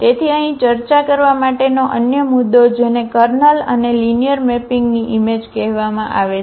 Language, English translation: Gujarati, So, another point here to be discussed that is called the kernel and the image of the linear mapping